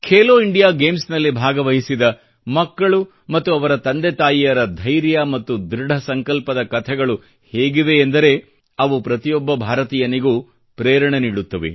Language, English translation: Kannada, The stories of the patience and determination of these children who participated in 'Khelo India Games' as well as their parents will inspire every Indian